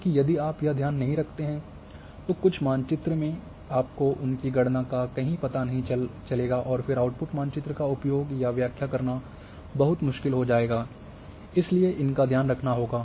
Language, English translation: Hindi, Because, if you do not take care then some map will get their you know calculation elsewhere and then output map would become very difficult to use or interpret, so these cares has to be taken